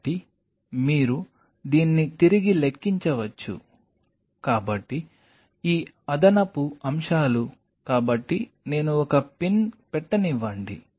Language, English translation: Telugu, So, you can back calculate it so this extra stuff so, let me put a pin